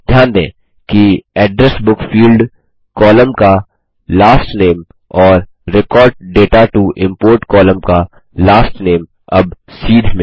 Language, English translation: Hindi, Notice, that the Last Name on the Address Book fields column and the Last Name on the Record data to import column are now aligned